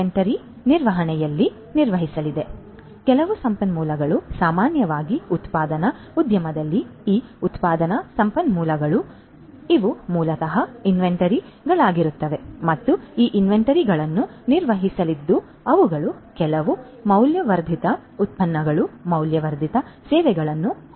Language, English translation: Kannada, So, some resource typically in a manufacturing industry these manufacturing resources you know, so these are basically are going to be the inventories and these inventories are going to be managed they are going to be used to have some value added products, value added services